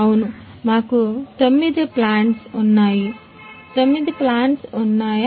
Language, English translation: Telugu, Yeah we have nine plants